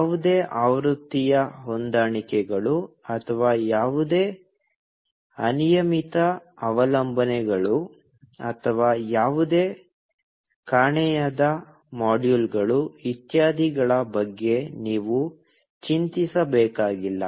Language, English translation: Kannada, You do not have to worry about any version mismatches, or any unmet dependencies, or any missing modules, etcetera